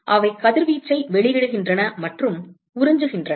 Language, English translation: Tamil, So, they also emit and absorb radiation